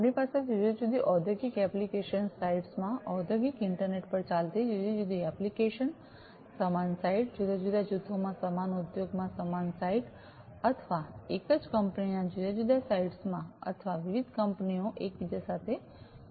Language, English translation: Gujarati, We have these different applications running on the industrial internet, using the industrial internet in different industrial application sites, same site, same site in the same industry different groups or different, different sites of the same company or it could be that different companies are interconnected together